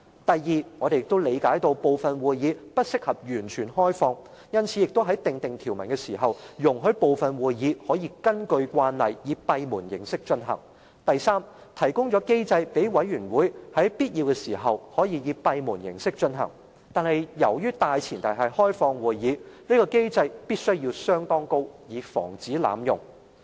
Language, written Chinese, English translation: Cantonese, 第二、我們理解部分會議不適合完全開放，因此在訂定條文時，容許部分會議可以根據慣例以閉門形式進行；及第三，提供機制讓委員會在必要時可以閉門形式進行，但由於大前提是要開放會議，這個機制的門檻必須相當高，以防止濫用。, Second we understand that certain meetings are not suitable to be completely open to the public . Hence in drafting the rule we have allowed certain meetings customarily conducted in camera continue to be held as closed meetings . Third the rule provided a mechanism for committees to conduct meetings in camera when necessary